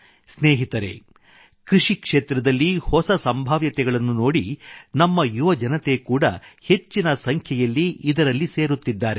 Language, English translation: Kannada, Friends, with emerging possibilities in the agriculture sector, more and more youth are now engaging themselves in this field